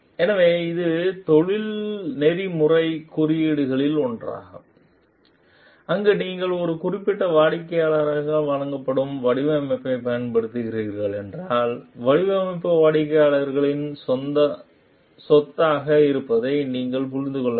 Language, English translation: Tamil, So, this is another of the ethical codes, where the if you are using a design which is given by a particular client, we have to understand that the design remains the property of the client